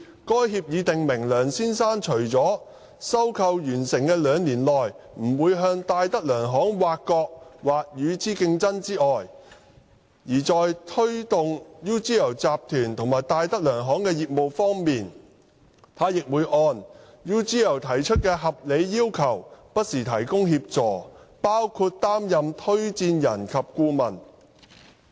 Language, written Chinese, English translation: Cantonese, 該協議訂明，梁先生除了在收購完成的兩年內不會向戴德梁行挖角或與之競爭之外，在推動 UGL 集團和戴德梁行集團的業務方面，他會按 UGL 提出的合理要求不時提供協助，包括擔任推薦人及顧問。, The agreement stipulated that within two years upon completion of the acquisition apart from not poaching any people from or competing with DTZ Mr LEUNG would in promoting the business of the UGL Group and the DTZ Group provide assistance from time to time which included acting as referee and adviser in accordance with the reasonable requests made by UGL